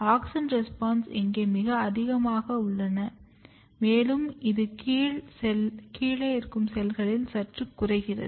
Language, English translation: Tamil, And if you look the auxin responses, auxin responses is very high here and it is slightly reduced in the lower cells ok